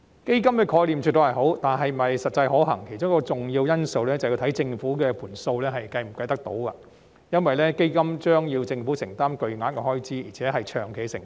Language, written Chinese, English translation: Cantonese, 建議的基本概念絕對是好的，至於是否實際可行，其中一個重要因素是要看政府的帳目是否可行，因為基金將要令政府承擔巨額開支，而且是一項長期的承擔。, The basic concept of the proposal is definitely good . As to whether it is practicable one of the important factors is the financial viability of the Government as the Fund will incur a heavy financial commitment and is a long - term one as well